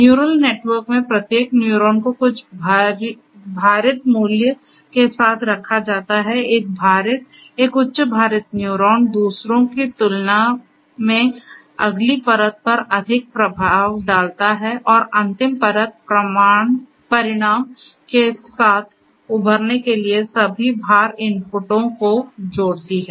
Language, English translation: Hindi, In neural network, each neuron is assigned with some weighted value, a weighted, a high weighted neuron exerts more effect on the next layer than the others and the final layer combines all the weight inputs to emerge with a result